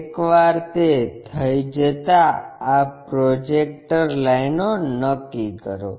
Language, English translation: Gujarati, Once done locate this projector lines